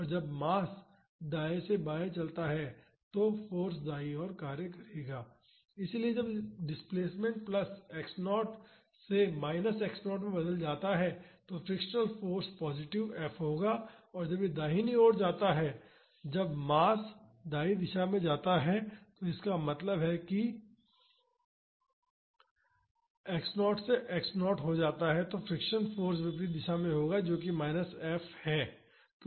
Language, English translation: Hindi, So, when the mass moves from right to left then the force will be acting towards right So, when the displacement changes from plus X naught to minus X naught the frictional force will be positive F and when it goes right wards when the mass goes right wards; that means, when the mass moves from minus X naught to X naught the friction force will be in the opposite direction that is minus F